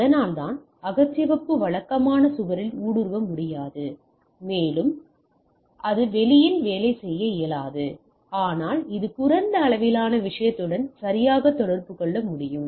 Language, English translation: Tamil, That is why infrared cannot penetrate typical wall and does not work outdoors, but its can communicate with a low range thing right